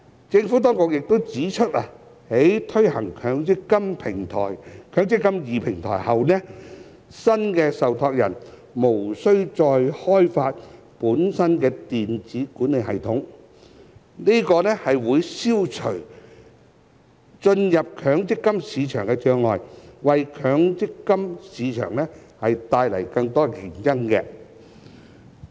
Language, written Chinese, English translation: Cantonese, 政府當局亦指出，在推行"積金易"平台後，新的受託人無需再開發本身的電子管理系統，這將會消除進入強積金市場的障礙，為強積金市場帶來更多競爭。, The Administration has also pointed out that following the introduction of the eMPF Platform new trustees will no longer need to develop their own electronic administration system . This will reduce barriers to the MPF market entry and introduce more competition to the MPF market